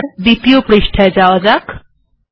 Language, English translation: Bengali, And lets go to the next page